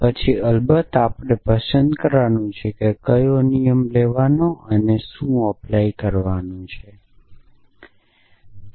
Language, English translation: Gujarati, And then of course, we have to choose which ruled to pick and what to apply